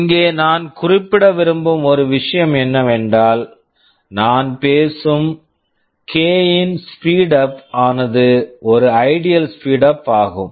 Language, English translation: Tamil, Just one thing I want to mention here is that this speedup of k that I am talking about is an ideal speed up